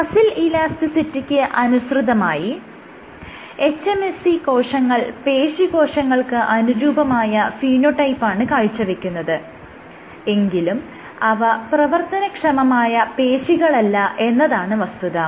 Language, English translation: Malayalam, So, on muscle elasticity hMSCs over expressed muscle like exhibit a muscle like phenotype, but they are not yet functional muscle